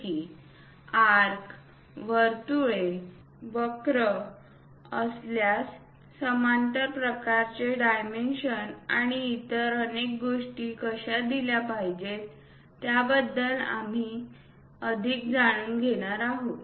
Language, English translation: Marathi, In today's lecture we will learn some more things about dimensioning especially on special topics, like, if these are arcs, circles, curves, how to give parallel kind of dimensions and many other things